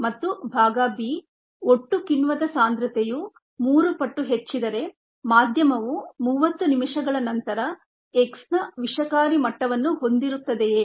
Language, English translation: Kannada, and part b: if the total enzyme concentration is tripled, will the medium contain toxic levels of x after thirty minutes